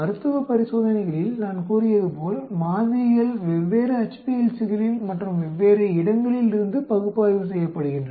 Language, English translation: Tamil, As I said in clinical trials, samples are analyzed in different HPLC’s and from different locations